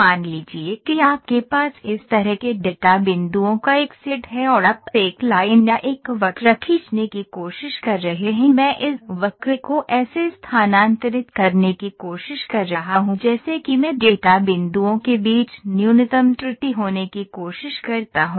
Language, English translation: Hindi, Suppose you have a set of data points like this and you are trying to draw a line so now, what I am trying to a line or a curve I am trying to shift this curve such that I try to have minimum error between the data points